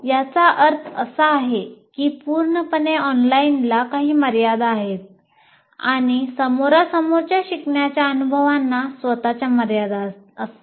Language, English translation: Marathi, That means fully online has some limitations as we will see and fully face to face learning experiences have their own limitations